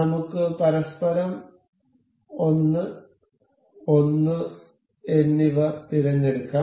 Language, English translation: Malayalam, Let us just select 1 and 1 to each other